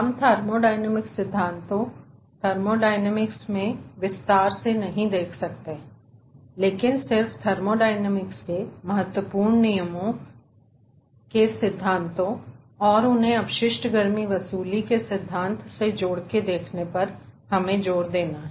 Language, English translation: Hindi, this is not looking into the thermodynamic principles and thermodynamic dynamics in details, but, ah, just to stress upon the important, important laws of thermodynamics, principles of thermodynamics, and to relate them with the principle of waste heat recovery